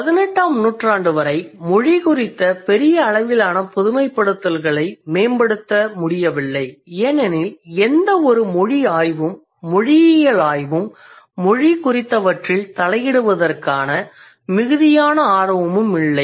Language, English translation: Tamil, So up until 18th century, the Greek generalizations about language, they could not be improved upon because there was hardly any language research, linguistics research, or there were hardly any interest or inquisitiveness about language